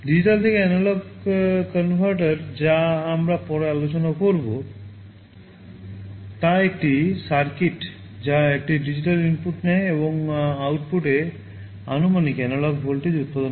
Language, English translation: Bengali, A digital to analog converter that we shall be discussing later is a circuit which takes a digital input and produces a proportional analog voltage at the output